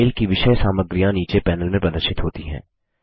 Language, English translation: Hindi, The contents of the mail are displayed in the panel below